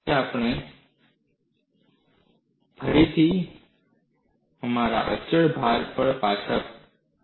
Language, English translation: Gujarati, Now, we again go back to our constant load